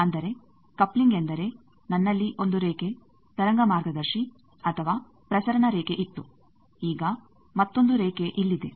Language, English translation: Kannada, That means, coupling means I had a line, wave guide or transmission line now another line is here